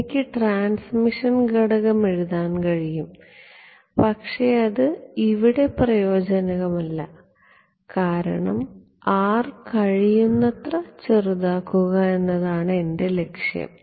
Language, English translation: Malayalam, I can write the transmission coefficient also but, it is not very useful because, my goal is to make R as small as possible ok